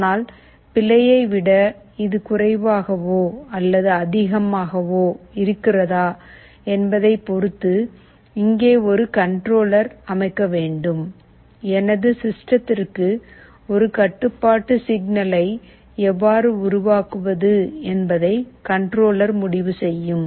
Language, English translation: Tamil, But depending on the error whether it is less than or greater than, there will be a controller which will be sitting here, controller will take a decision that how to generate a control signal for my system